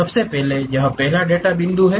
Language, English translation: Hindi, First of all this is the first data point